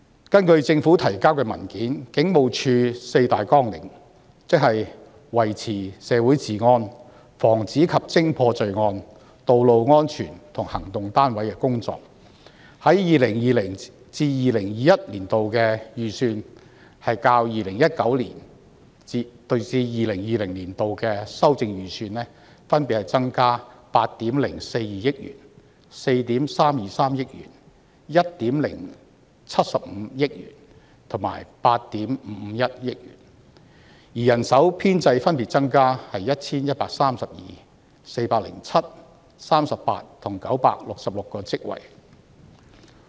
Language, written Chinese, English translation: Cantonese, 根據政府提交的文件，警務處的四大綱領，即維持社會治安、防止及偵破罪案、道路安全及行動單位的工作，在 2020-2021 年度的預算開支較 2019-2020 年度修訂預算分別增加8億420萬元、4億 3,230 萬元、1億750萬元及8億 5,510 萬元，而人手編制則分別增加 1,132、407、38和966個職位。, According to the paper submitted by the Government there are four major programmes of HKPF namely maintenance of law and order in the community prevention and detection of crime road safety and operations . When compared with 2019 - 2020 while the estimated expenditures will increase by 804.2 million 432.3 million 107.5 million and 855.1 million respectively in 2020 - 2021 there will also be an increase of 1 132 407 38 and 966 posts respectively in respect of staff establishment